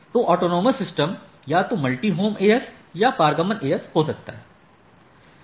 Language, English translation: Hindi, So, autonomous systems can be either multi homed AS or transit AS